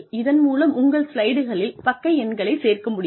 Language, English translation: Tamil, And, you will be able to add page numbers, to your slides